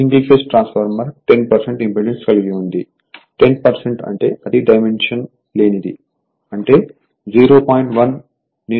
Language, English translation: Telugu, Single phase transformer has 10 percent impedance, 10 percent means it is dimensionless; that means 0